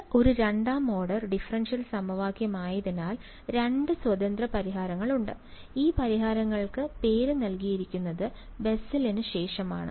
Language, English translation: Malayalam, This being a second order differential equation has two independent solutions and those solutions are named after Bessel right